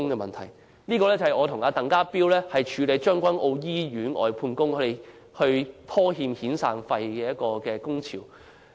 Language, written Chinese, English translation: Cantonese, 報道關於我和鄧家彪處理將軍澳醫院外判工人被拖欠遣散費而發起的工潮。, The news report is about TANG Ka - piu and I handling a strike initiated by the outsourced workers of the Tseung Kwan O Hospital because they were owed their severance pay